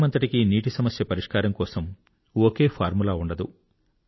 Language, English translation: Telugu, There cannot be a single formula for dealing with water crisis across the country